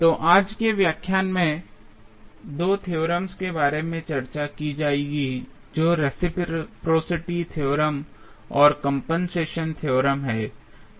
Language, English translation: Hindi, So, in today's lecture will discuss about 2 theorems, those are reciprocity theorem and compensation theorem